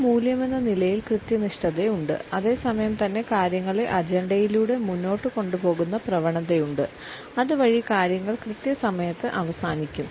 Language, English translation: Malayalam, Punctuality as a value has to be there and at the same time there is a tendency to push things through the agenda so, that things can end on time